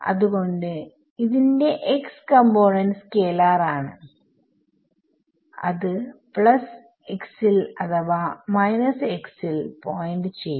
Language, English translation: Malayalam, So, x component of E it is a scalar can either point in the plus x or the minus x there actually